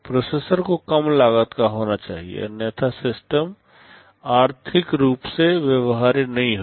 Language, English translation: Hindi, The processor has to be low cost otherwise the system will not be economically viable